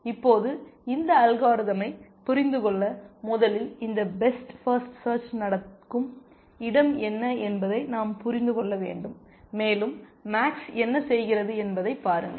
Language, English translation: Tamil, Now, to understand this algorithm first we must understand what is the space in which this best first search will happen, and look at what max does